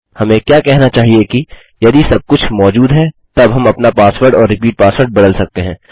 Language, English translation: Hindi, What we should say is if everything exists then we can convert our password and repeat password